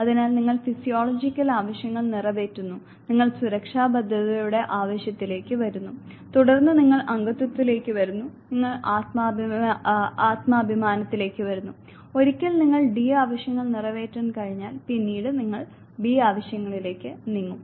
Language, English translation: Malayalam, So, you satisfy the physiological needs, you come to the need for safety security, then you come to belongingness then, you come to self esteem and once you are able to take care of the D needs then you move to the B needs